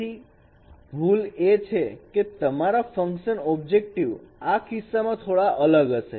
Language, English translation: Gujarati, So the error of error form is your objective functions would be a bit different in this case